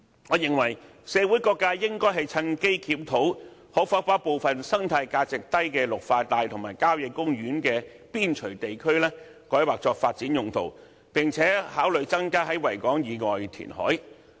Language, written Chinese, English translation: Cantonese, 我認為社會各界應趁機檢討可否把部分生態價值低的綠化帶和郊野公園邊陲地區改劃作發展用途，並且考慮增加在維港以外地區填海。, I think various sectors in society should take this opportunity to review whether some green belt areas with low ecological value and periphery areas of country parks can be rezoned for development and consider increasing reclamation outside the Victoria Harbour